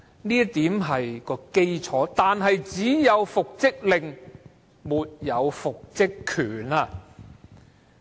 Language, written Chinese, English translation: Cantonese, 這點是基礎，但只有復職令，沒有復職權。, This is the basic requirement but only the reinstatement order is involved but not the right to reinstatement